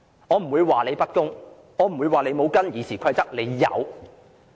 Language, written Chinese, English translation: Cantonese, 我不會說你不公，我不會說你沒有根據《議事規則》行事。, I will not say that you are being unfair nor will I say that you are not acting in accordance with RoP